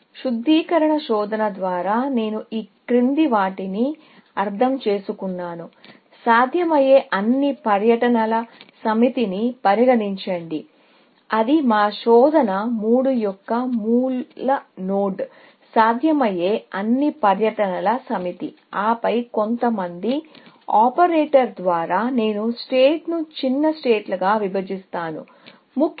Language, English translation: Telugu, By refinement search, I mean the following; that consider the set of all possible tours, that will be the root node of our search three, the set of all possible tours, and then by some operator, I will partition the set into smaller sets, essentially